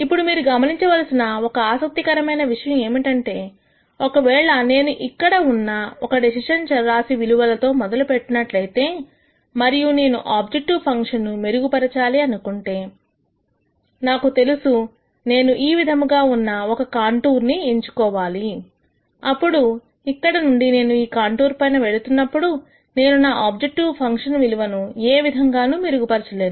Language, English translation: Telugu, Now, an interesting thing to notice is if I start with some decision variable values here and let us say I want to improve my objective function, I know that if I pick a contour like this and then from here if I keep moving on this contour I am not going to make any improvement to my objective function value